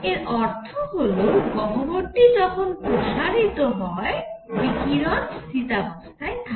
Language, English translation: Bengali, This means in this cavity as it expands, the radiation remains at equilibrium